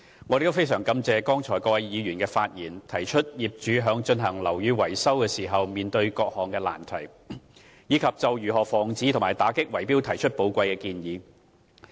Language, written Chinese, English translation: Cantonese, 我亦非常感謝剛才各位議員發言，提出業主在進行樓宇維修時面對的各種難題，以及就如何防止和打擊圍標提出寶貴的建議。, I also thank Members who have spoken in the debate . President I shall first talk about Mr LAU Kwok - fans amendment . I noticed that Mr LAU proposes the establishment of a database on building maintenance